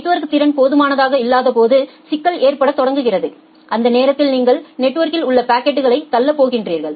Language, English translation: Tamil, But the problem starts occurring when the network capacity is not sufficient and during that time you are going to push the packets in the network